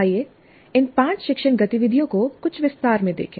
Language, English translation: Hindi, Now let us look at these five instructional activities in some detail